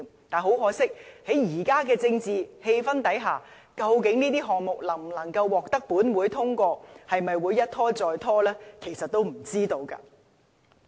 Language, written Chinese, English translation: Cantonese, 但是，在現在的政治氣候下，究竟這些項目能否獲得本會通過，會否一拖再拖，其實都不知道。, Nevertheless under the current political climate it is still uncertain whether these proposals will be approved by this Council or whether there will be delays time and again